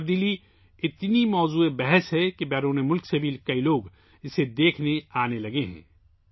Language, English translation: Urdu, There is so much talk of this change, that many people from abroad have started coming to see it